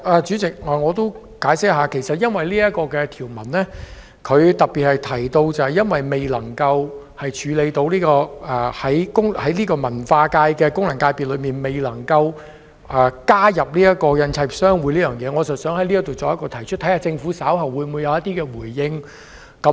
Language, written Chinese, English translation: Cantonese, 主席，我想解釋一下，由於這項條文特別提到，未能處理在文化界功能界別加入香港印刷業商會，所以我在此提出，看看政府稍後會否回應。, Chairman I have to explain that since the clause makes particular mention that the inclusion of HKPA cannot be addressed I raise the issue here to see if the Government will respond to it later on